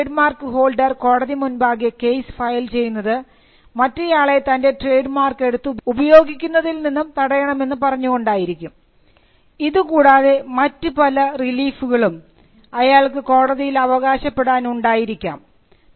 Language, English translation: Malayalam, Now when the trademark holder files a case before the court of law asking the court, to stop the person from using his mark and there are various other reliefs that the trademark holder can claim